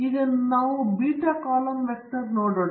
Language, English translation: Kannada, Now, let us look at the beta column vector